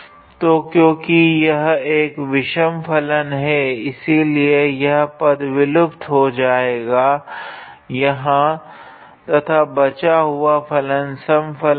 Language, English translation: Hindi, So, since it is an odd function that is why this term is vanished here and the rest of the functions are even function